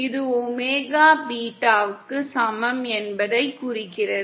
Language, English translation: Tamil, This implies omega is equal to beta C